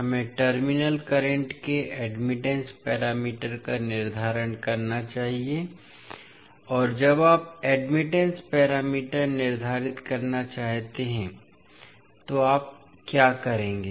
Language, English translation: Hindi, We have to determine the admittance parameter of the terminal currents and when you want to determine the admittance parameter, what you will do